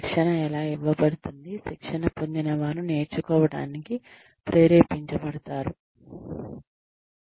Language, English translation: Telugu, How can training be delivered so, that trainees are motivated to learn